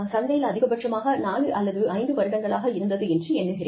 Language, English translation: Tamil, It was in the market for, maybe 4 or 5 years, at the most